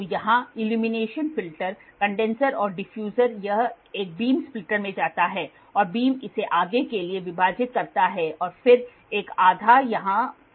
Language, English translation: Hindi, So, here illumination filter, condenser, diffuser it goes to a beam splitter, beam splitter it for further and then one half goes here